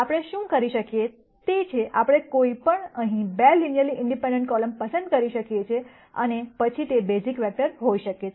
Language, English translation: Gujarati, What we can do is, we can pick any 2 linearly independent columns here and then those could be the basis vectors